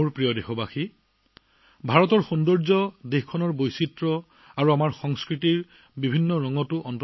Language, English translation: Assamese, My dear countrymen, the beauty of India lies in her diversity and also in the different hues of our culture